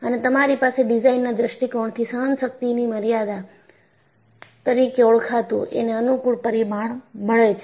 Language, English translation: Gujarati, And, you also have from a design point of view, a convenient parameter called the endurance limit